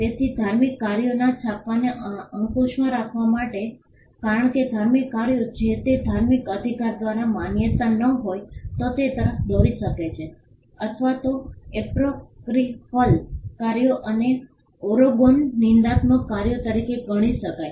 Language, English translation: Gujarati, So, to control the printing of religious works because religious works if it is not approved by the religious rights then that could lead either could be regarded as apocryphal works and Oregon blasphemous works